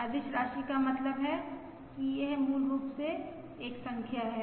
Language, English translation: Hindi, Scalar quantity means it is basically a number